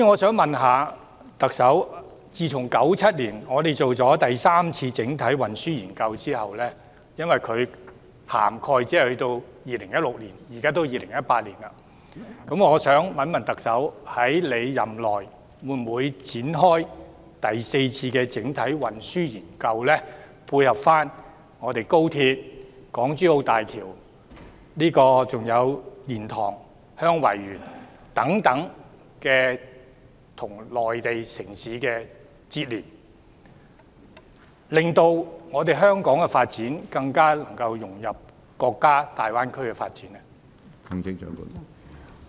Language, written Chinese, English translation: Cantonese, 政府在1997年完成的第三次整體運輸研究只適用至2016年，而現在已是2018年，請問特首任內會否展開第四次整體運輸研究，以配合高鐵、港珠澳大橋、蓮塘/香園圍口岸等與內地城市的連接，令香港的發展更能融入國家大灣區的發展。, The Third Comprehensive Transport Study completed by the Government in 1997 only applies up to 2016 . It is now 2018 . Will the Chief Executive launch a Fourth Comprehensive Transport Study during her term of office so as to tie in with the connections with Mainland cities such as the Express Rail Link the HongKong - Zhuhai - Macao Bridge and the LiantangHeung Yuen Wai Boundary Control Point so that the development of Hong Kong can be better integrated into the development of the Greater Bay Area of the country?